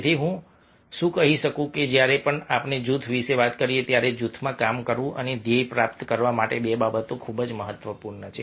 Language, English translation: Gujarati, that whenever we talk about group, two things are very, very important: working in a group and achieving the goal